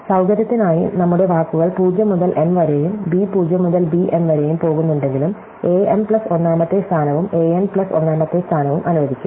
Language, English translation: Malayalam, So, for convenience, although our words go from a 0 to a m and from b 0 to b m, we will allow a m plus oneth position and an n plus oneth position